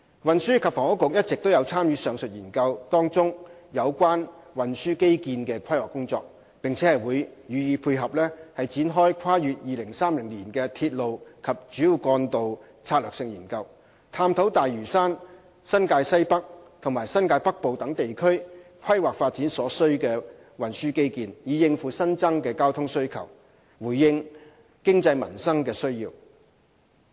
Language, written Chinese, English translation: Cantonese, 運輸及房屋局一直有參與上述研究中有關運輸基建的規劃工作，並將予配合展開跨越2030年的鐵路及主要幹道策略性研究，探討大嶼山、新界西北和新界北部等地區規劃發展所需的運輸基建，以應付新增的交通需求，回應經濟民生的需要。, The Transport and Housing Bureau has been involved in the planning of transport infrastructure in the study and will launch a strategic study for railways and major trunk roads beyond 2030 examining the transport infrastructure required for the planning and development of Lantau north - west New Territories and north New Territories to cope with traffic needs so generated in response to the economic and livelihood needs of the public